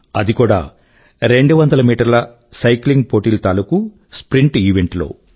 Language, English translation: Telugu, That too in the 200meter Sprint event in Cycling